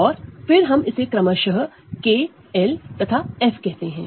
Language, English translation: Hindi, And then let us call this will K, L and F respectively